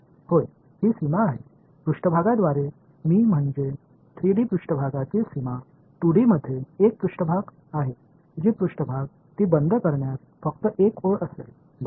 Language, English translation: Marathi, It is the boundary yeah, by surface I mean boundary in 3D r surface is a surface in in 2D the surface will be just the line in closing it right